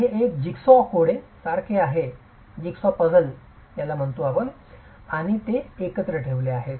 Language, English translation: Marathi, So, it's like a jigsaw puzzle and it's held together